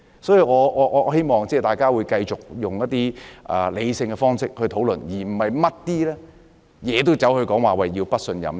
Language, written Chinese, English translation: Cantonese, 所以，我希望大家會用理性的方式去討論，而不是凡事都說不信任。, Hence I hope Members will hold rational discussions instead of having no confidence in everything